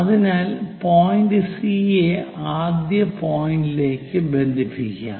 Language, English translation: Malayalam, So, let us connect C point all the way to first point